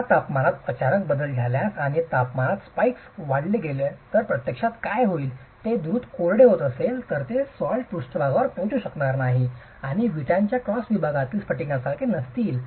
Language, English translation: Marathi, Now if there is sudden changes in temperature and spikes in temperature and there is rapid drying, what will actually happen is those salts may not be able to reach the surface and will crystallize inside the brick cross section itself